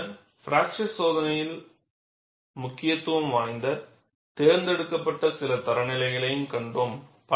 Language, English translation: Tamil, And then we saw selected few standards that are of importance in fracture testing